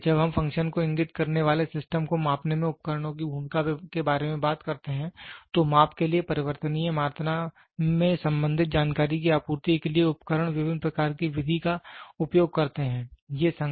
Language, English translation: Hindi, So, when we talk about the role of instruments in measuring system indicating function, the instruments use different kinds of method for supplying information concerning the variable quantities under measurements